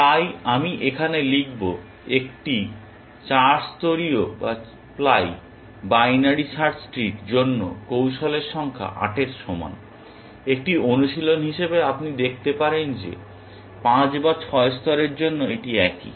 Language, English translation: Bengali, So, I will just write it here number of strategies equal to 8 for a 4 ply binary search tree, and as an exercise you can see that for 5 or 6 ply it is the same it is